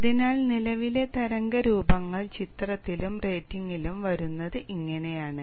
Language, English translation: Malayalam, So this is how the current wave shapes come into picture and about the rating